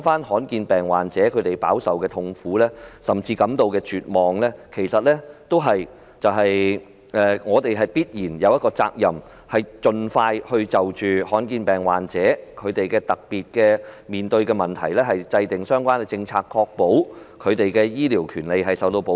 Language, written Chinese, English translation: Cantonese, 罕見疾病患者飽受痛苦，甚至感到絕望，政府其實有必然的責任，就罕見疾病患者面對的特別問題盡快制訂相關政策，確保他們的醫療權利受到保障。, Rare disease patients are under immense sufferings and they even feel hopeless . The Government is in fact obligated to expeditiously formulate a policy to address the particular problems faced by rare disease patients so as to ensure protection for their medical rights